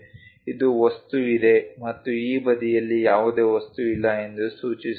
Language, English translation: Kannada, This indicates that material is there and there is no material on this side